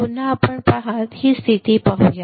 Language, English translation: Marathi, See again let us see this condition